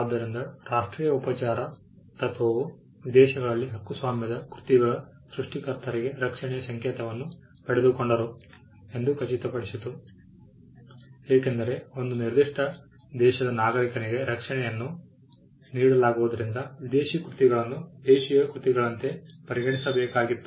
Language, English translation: Kannada, So, national treatment principle ensured that creators of copyrighted work in foreign countries got symbol of protection as a protection would be offered to a citizen of a particular country